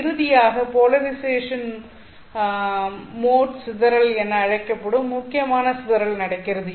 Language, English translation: Tamil, Finally, there is important dispersion source which is called as the polarization mode dispersion